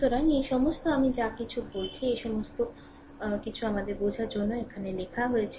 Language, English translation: Bengali, So, all this, whatever I said whatever I said all this things are written here for your understanding right